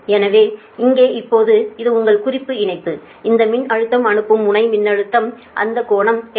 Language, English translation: Tamil, so now this is your reference line, this is the voltage, sending end voltage